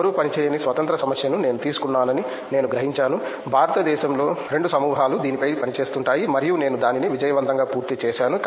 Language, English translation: Telugu, Then I realized that see I took a independent problem in which no one worked, in India hardly two groups work on that and I successfully completed it